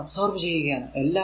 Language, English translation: Malayalam, So, it will be power absorbed